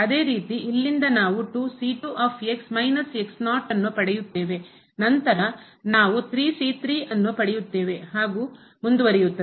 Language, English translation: Kannada, Similarly from here we will get 2 time and minus then we will get here 3 time and so on